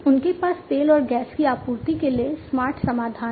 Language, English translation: Hindi, They have smarter solutions for the supply of oil and gas